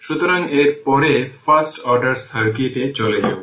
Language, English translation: Bengali, So, after that we will move to your first order circuit